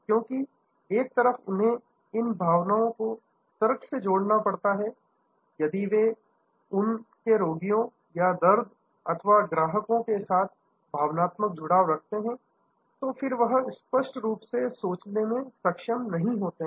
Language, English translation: Hindi, Because, on one hand, they have to keep a this passionate at logical frame of mind, if they get two emotional involve with the patients, pain or the clients, despair and then, they may not be able to think clearly